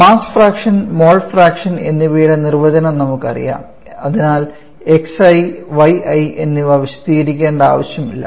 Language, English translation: Malayalam, so we now know the definition of this mass fraction and mole fraction, so I do not need to explain x y and y n